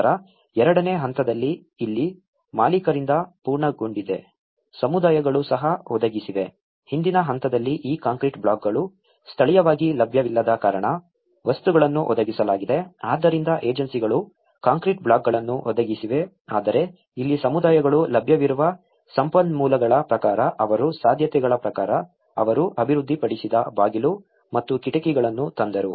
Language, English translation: Kannada, Then in stage two, this is where the completion by owners so, communities also have provided so, in the earlier stage the materials were provided because these concrete blocks were not available locally so the agencies have provided the concrete blocks but in here the communities as per their feasibilities as per their available resources they have developed they brought the doors and windows